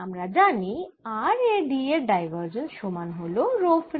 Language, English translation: Bengali, divergence of d is equal to row free